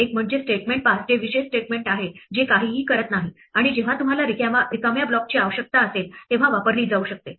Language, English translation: Marathi, One is the statement pass which is the special statement that does nothing and can be used whenever you need an empty block